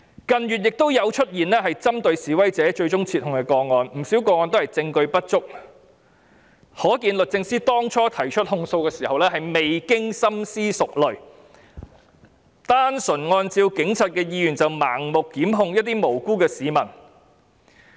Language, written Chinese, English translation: Cantonese, 近月，亦有出現針對示威者但最終撤控的個案，不少個案都是證據不足，可見律政司當初提出訴訟時，未經深思熟慮，單純按照警察的意願便盲目檢控無辜的市民。, In recent months there were also cases that targeted protesters but were withdrawn in the end and many cases involved insufficient evidence . It is thus clear that when the Department of Justice institutes legal proceedings it fails to make thorough and meticulous consideration . It simply complies with the wishes of the Police and blindly initiates prosecutions against innocent people